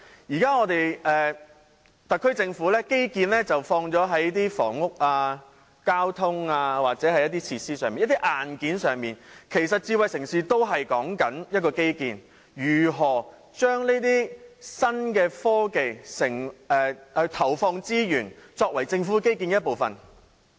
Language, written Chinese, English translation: Cantonese, 現時特區政府把基建放在房屋、交通或設施上，即是在硬件上，其實智慧城市也是關於基建，是如何投放資源於新科技，作為政府基建的一部分。, At present the SAR Government focuses on infrastructural development on housing transport or facilities that is on hardware but in fact smart city is also about infrastructure or how to allocate resources to new technology as part of the Governments infrastructural development